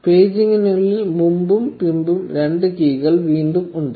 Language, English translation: Malayalam, Inside the paging there are again two keys previous and next